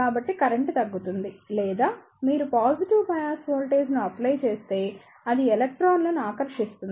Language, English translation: Telugu, So, the current will reduce or if you apply a positive bias voltage, it will attract the electrons